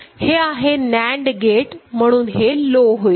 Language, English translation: Marathi, This is NAND gate, so it will become low